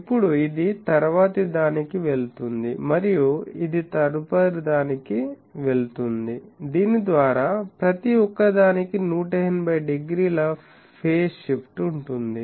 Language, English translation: Telugu, And now this one goes to the next one and this one goes to next one, by that each one is having an 180 degree phase feed